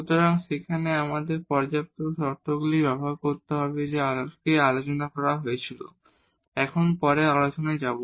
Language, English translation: Bengali, So, that there we have to use the sufficient conditions that were discussed before so, moving a next now